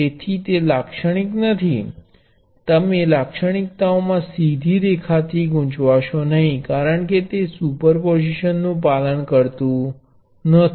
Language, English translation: Gujarati, So, do not be confused by the straight line in the characteristics it is not linear, because it does not obey superposition